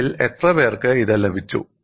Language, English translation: Malayalam, How many of you have got it